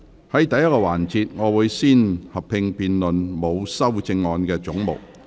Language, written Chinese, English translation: Cantonese, 在第一個環節，會先合併辯論沒有修正案的總目。, In the first session there will be a joint debate on heads with no amendment